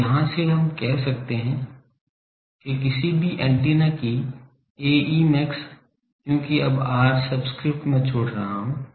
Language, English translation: Hindi, So, from here, we can say that A e max of any antenna, because now r subscript I am leaving